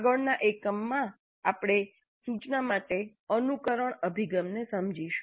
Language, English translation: Gujarati, And in the next unit we understand simulation approach to instruction